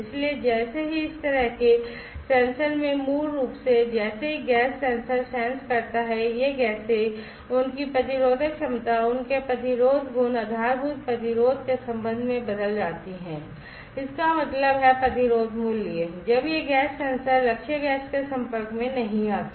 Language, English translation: Hindi, So, as soon as basically in this kind of sensors as soon as the gas sensors senses, this gases, their resistive capacities their resistive properties change with respect to the baseline resistance; that means, when the resistance value when this gas sensors are not exposed the target gas